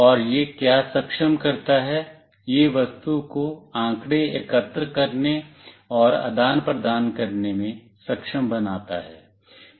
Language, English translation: Hindi, And what it enables, it enables the object to collect and exchange data